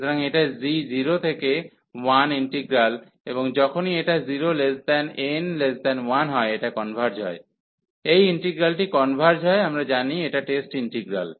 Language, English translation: Bengali, So, the integral over this g 0 to 1 and this converges whenever this n is between 0 and 1, this integral converges we know this test integral